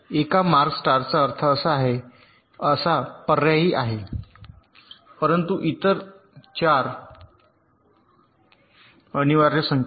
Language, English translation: Marathi, the one marks star means this is optional, but other four an mandatory signals